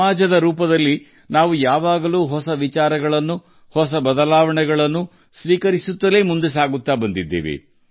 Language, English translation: Kannada, As a society, we have always moved ahead by accepting new ideas, new changes